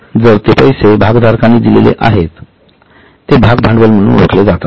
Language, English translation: Marathi, So, money which is put in by the shareholders is known as share capital